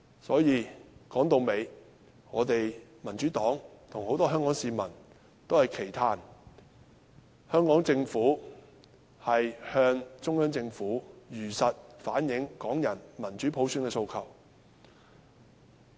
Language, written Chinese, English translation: Cantonese, 所以，說到底，我們民主黨與很多香港市民均期盼香港政府能向中央政府如實反映港人對民主普選的訴求。, Hence after all we in the Democratic Party and many Hongkongers expect the Hong Kong Government to truthfully relay Hongkongers aspirations for democratic universal suffrage to the Central Government